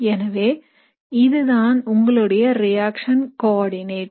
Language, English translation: Tamil, So this is your reaction coordinate